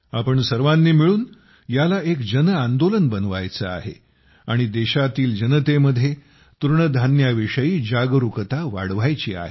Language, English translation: Marathi, Together we all have to make it a mass movement, and also increase the awareness of Millets among the people of the country